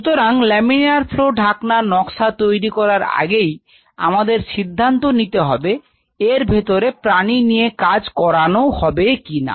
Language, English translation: Bengali, So, before lamina flow hood design, let us decide one more stuff you get the animal inside right